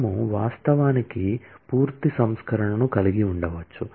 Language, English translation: Telugu, We can actually have a full version as well